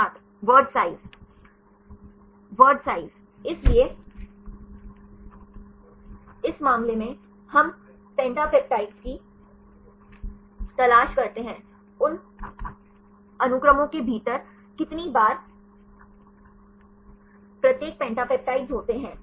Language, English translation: Hindi, Word size; so in this case we look for the pentapeptides; how many times each pentapeptides occurs within those sequences